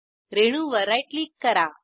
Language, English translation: Marathi, Right click on the molecule